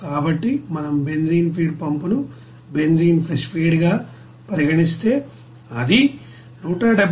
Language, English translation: Telugu, So if we consider the benzene feed pump there benzene fresh feed it will be 178